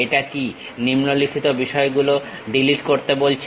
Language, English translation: Bengali, It says that Delete the following item